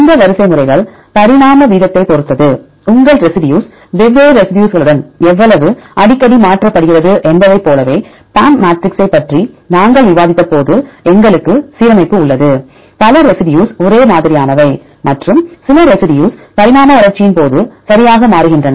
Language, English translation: Tamil, And these sequences also depends upon the evolutionary rate right how frequent your residue is mutated to different residues likewise when we discussed about the PAM matrix we have the alignment, several residues are the same and some residues change right during evolution